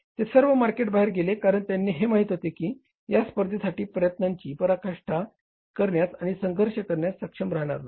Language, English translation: Marathi, They all went out of the market because they knew it that we will not be able to strive for and to fight this competition